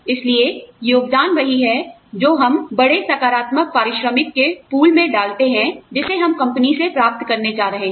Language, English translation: Hindi, So, contributions are, what we put into the larger pool of, the positive remuneration, that we are going to get, from the company